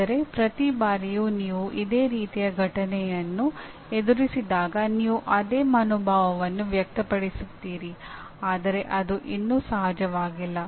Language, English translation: Kannada, That is every time you confront the similar event, you express the same attitude rather than, it is not natural still